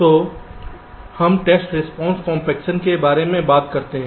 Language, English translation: Hindi, so we talk about something called test response compaction